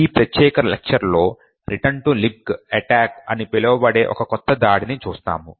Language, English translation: Telugu, In this particular lecture what we will look at is a new form of attack known as the Return to Libc Attack